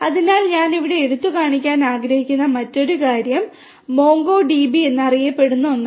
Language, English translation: Malayalam, So, another thing that I would like to highlight over here is something known as the MongoDB